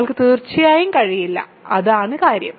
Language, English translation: Malayalam, You certainly cannot; that is the point